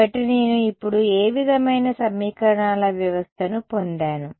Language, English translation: Telugu, So, what kind of a sort of system of equations have I got now